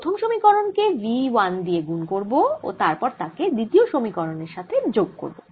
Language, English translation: Bengali, equation two: multiply equation one by v one and add to equation two